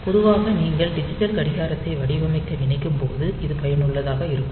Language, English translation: Tamil, So, this is typically useful when you are suppose designing a digital watch